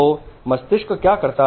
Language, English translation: Hindi, So this is what the brain is